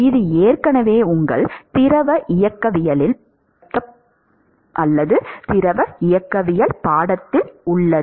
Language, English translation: Tamil, That it is already covered in your fluid mechanics course